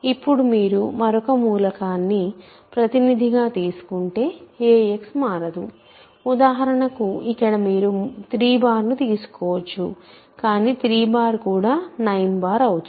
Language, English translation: Telugu, Now, if you take another representative a x does not change for example, here you can take 3 bar, but 3 bar is also 9 bar right